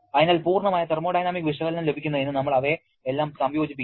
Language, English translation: Malayalam, So, we finally combine all of them to get a complete thermodynamic analysis